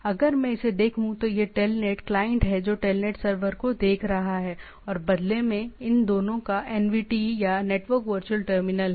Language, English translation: Hindi, If I look at, it is the telnet client which is looking at the telnet server in turn they have both have this NVT or the network virtual terminals